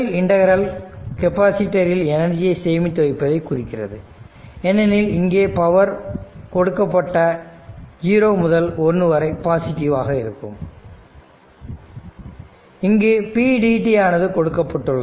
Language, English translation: Tamil, So, thus the first integral represents energy stored in the capacitor because, if you look into that it is given 0 to 1 p dt that is in between that p is positive right